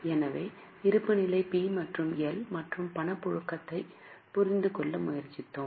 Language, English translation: Tamil, So, we have tried to understand the balance sheet, P&L and Cash flow